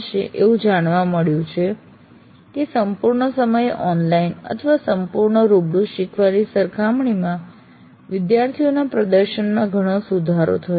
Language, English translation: Gujarati, And it has been found that the performance of the students greatly improved compared to full time online or full time face to face learning experiences